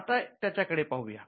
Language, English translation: Marathi, Now, let us look at that